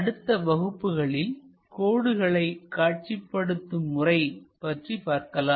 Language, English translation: Tamil, So, in the next class we will learn more about line projections